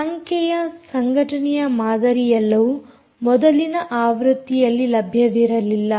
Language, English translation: Kannada, the numeric association model are all that were not available in previous version